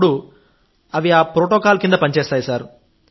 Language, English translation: Telugu, We work under these protocols